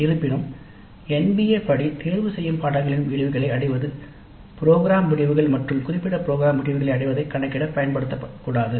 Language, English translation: Tamil, However, the attainment of outcomes of the elective courses are not to be used in the computation of the attainments of program outcomes and program specific outcomes according to NBA